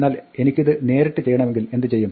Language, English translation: Malayalam, But what if I want to directly do this